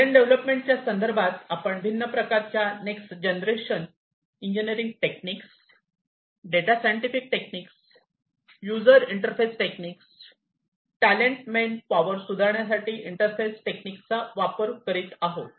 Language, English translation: Marathi, Talent development here we are talking about the use of different next generation engineering techniques, data scientific techniques, and user interface techniques to improve upon the talent man manpower, talented manpower, to improve upon their the improve their talent, and so on